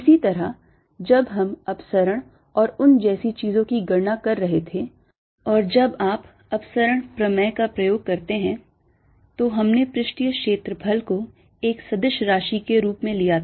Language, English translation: Hindi, similarly, when we were calculating divergence and things like those, and when you use divergence theorem, we took surface area as a vector